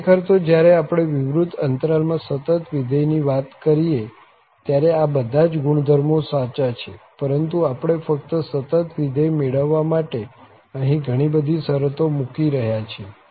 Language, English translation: Gujarati, Indeed, all these properties are also valid when we are talking about the continuous function in a closed interval but that we are putting too much restrictions to have only continuous function